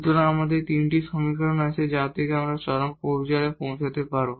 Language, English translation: Bengali, So, we have these 3 equations which has to be satisfied at the point of extrema there